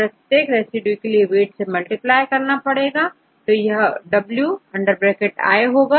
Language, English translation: Hindi, So, multiplied with the weight for each residue w